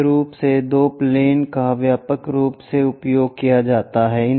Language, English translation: Hindi, Mainly two planes are widely used